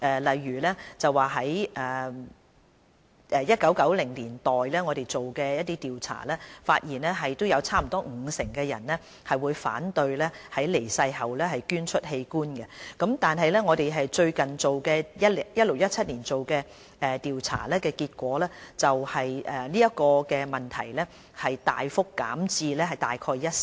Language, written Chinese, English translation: Cantonese, 我們在1990年代進行的調查，發現約有五成受訪者反對於離世後捐出器官；但我們最近於 2016-2017 年度進行的調查，結果反映這問題大幅減至約一成。, In the survey conducted in the 1990s about 50 % of the surveyed objected organ donation after ones death . But in our most recent survey conducted in 2016 - 2017 the magnitude of the issue has plummeted to only about 10 %